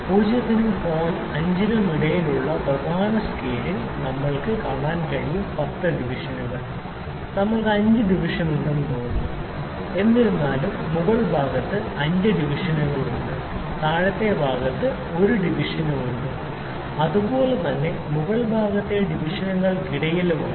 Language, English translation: Malayalam, We can see on the main scale between 0 and 5 between 0 and 5 there are 10 divisions looks like that we have 5 divisions; however, on the upper side there are 5 divisions and there is a division at the lower side that well as well which are in between the divisions of the upper side